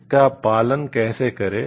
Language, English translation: Hindi, How to practice it